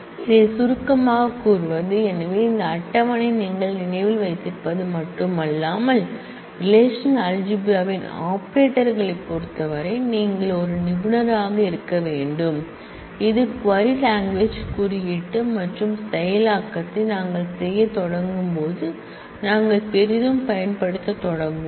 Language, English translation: Tamil, To summarize this is the, so this table is what you not only should remember, but you should become a expert of in terms of the operators of relational algebra which we will start using very heavily as we start doing the query coding and processing